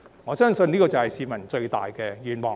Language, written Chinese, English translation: Cantonese, 我相信這就是市民最大的願望。, I believe this is the biggest wish of the people